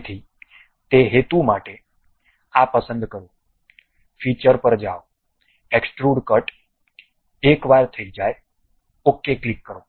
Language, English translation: Gujarati, So, for that purpose pick this one, go to features, extrude cut; once done, click ok